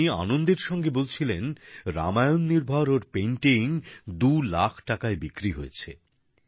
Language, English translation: Bengali, He was expressing happiness that his painting based on Ramayana had sold for two lakh rupees